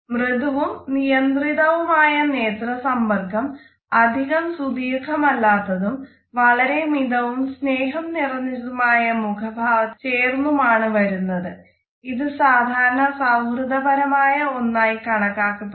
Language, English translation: Malayalam, Soft and restricted eye contact is less prolonged, it is accompanied by relaxed and very friendly facial expressions, it is perceived as casual friendly warm etcetera